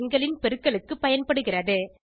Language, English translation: Tamil, * is used for multiplication of two numbers